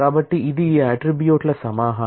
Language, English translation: Telugu, So, it is a collection of all these attributes